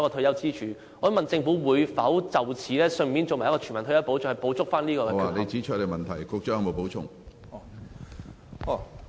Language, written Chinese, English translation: Cantonese, 我想問政府會否就此推出全民退休保障計劃，從而補足有關缺口呢？, I would like to ask the Government whether it will implement a universal retirement protection scheme to make up for the damage